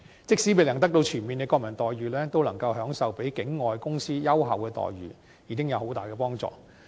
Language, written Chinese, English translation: Cantonese, 即使未能得到全面的國民待遇，能夠享受比境外公司優厚的待遇，已經有很大幫助。, Even if they have yet to be granted full national treatment a treatment better than that accorded to non - local companies will already be of great help